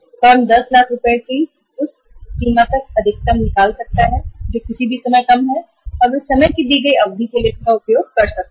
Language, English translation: Hindi, Firm can withdraw maximum up to that limit of 10 lakh rupees, less anytime and they can use it for the given period of time